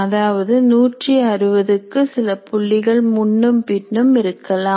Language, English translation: Tamil, That means it could be 160 plus or minus a few